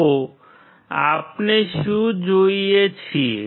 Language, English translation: Gujarati, So, what do we see